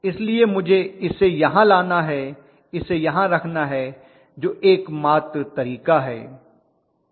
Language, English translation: Hindi, So I have to put this here, put this here that is the only way out